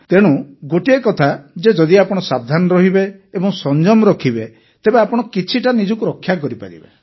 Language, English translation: Odia, And there is one thing that, if you are careful and observe caution you can avoid it to an extent